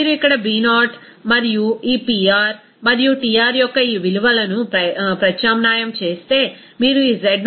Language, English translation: Telugu, If you substitute this value of B0 and this Pr and Tr here, you can simply get this value of z0 as 0